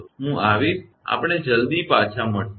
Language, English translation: Gujarati, I will come, will be coming, we will come back to soon